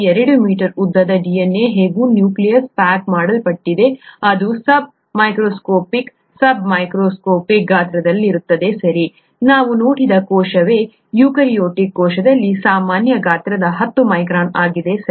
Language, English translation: Kannada, The 2 metres long DNA is somehow packed into the nucleus which is sub sub micron sized, okay, the cell itself we saw was the the in a eukaryotic cell that is a typical size is 10 micron, right